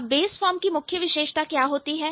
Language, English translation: Hindi, And what is the main feature of the base form